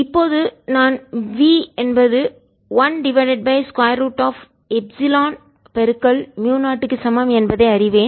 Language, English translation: Tamil, now i know that v one over square root of epsilon mu